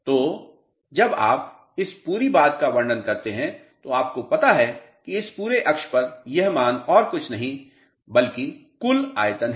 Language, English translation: Hindi, So, this whole thing when you describe you know this whole axis this value is nothing but total volume of